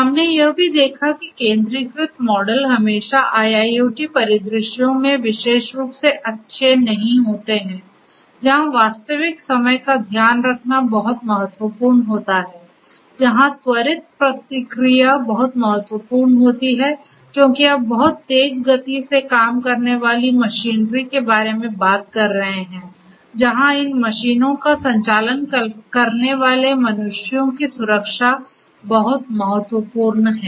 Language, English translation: Hindi, We have also seen that centralized models are not always good particularly in IIoT scenarios where real timeness is very important where quicker response is very important, because you are talking about machinery operating at very high speed where safety of the humans operating these machines is very crucial